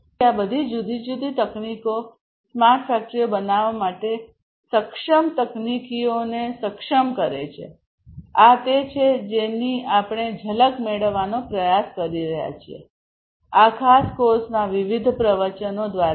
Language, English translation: Gujarati, So, all these different technologies the enabling technologies for building smart factories, this is what we are trying to get a glimpse of through the different lectures of this particular course